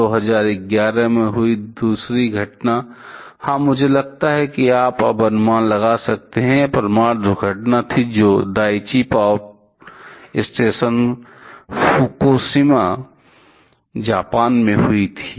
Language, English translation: Hindi, The other incident that happened in 2011; yeah I think you can guess now, it was the nuclear accident that happened in the Daiichi power station Fukushima Japan